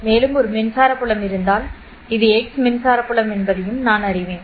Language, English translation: Tamil, I also know that if there was one more electric field, so this is X electric field